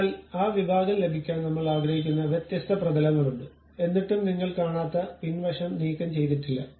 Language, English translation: Malayalam, So, there are different planes I would like to have that section, still the back side one not removed you see